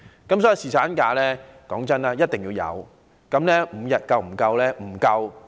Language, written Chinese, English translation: Cantonese, 因此，侍產假是必須的，但5天足夠嗎？, Hence paternity leave is a must but will five days suffice?